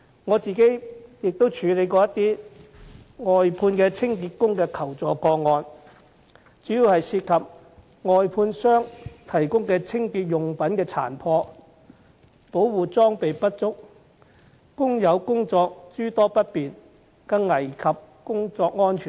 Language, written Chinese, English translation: Cantonese, 我亦曾處理一些外判清潔工的求助個案，主要涉及外判商提供的清潔用具殘破、保護裝備不足，令工友的工作諸多不便，更危及工作安全。, I have also handled requests for assistance from workers of outsourced cleaning service whose complaints were mainly about contractors providing worn - out cleaning tools and insufficient protective gear to workers causing much inconvenience to workers and worse still posing safety hazards to them at work